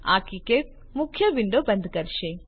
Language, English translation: Gujarati, This will close the KiCad main window